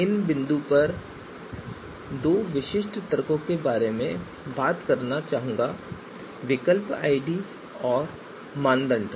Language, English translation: Hindi, So at this point two specific you know arguments I would like to talk about alternative IDs and alternative IDs